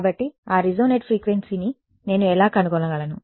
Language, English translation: Telugu, So, how would I find that resonate frequency